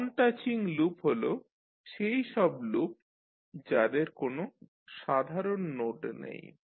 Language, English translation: Bengali, So non touching loops are the loops that do not have any node in common